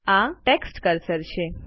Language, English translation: Gujarati, This is the text cursor